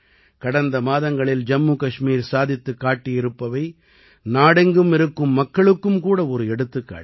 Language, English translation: Tamil, What Jammu and Kashmir has achieved last month is an example for people across the country